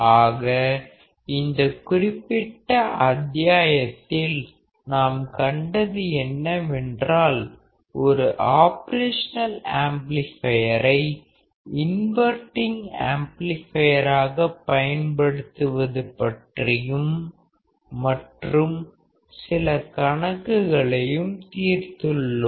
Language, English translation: Tamil, So, what we have seen in this particular module is that we have seen that we can use the operation amplifier; as an inverting amplifier and then we have solved few problems